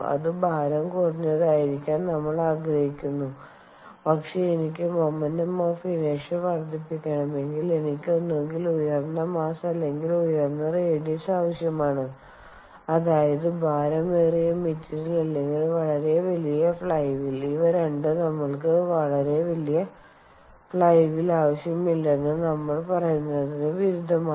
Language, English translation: Malayalam, but it shows here that if i have to increase the moment of inertia, i either need high mass or high radius, which means either a heavy material or a very large flywheel, which both of which go contrary to what we say, that we dont want a very bulky flywheel